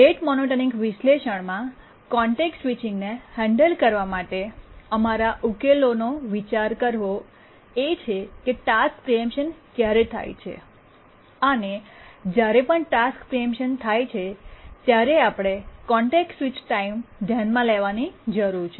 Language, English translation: Gujarati, The crux of our solution here about how to handle context switching in the rate monotonic analysis is to consider the following situation that when do the task preemptions occur and whenever task preemption occurs we need to consider the context switch